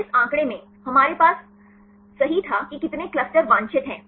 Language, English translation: Hindi, In this figure, we had right how many clusters are desired